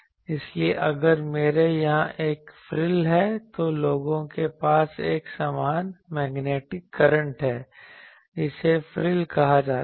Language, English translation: Hindi, So, if I have a frill here people have from that an equivalent magnetic current like these that will be also that is called Frill